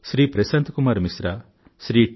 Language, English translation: Telugu, Shri Prashant Kumar Mishra, Shri T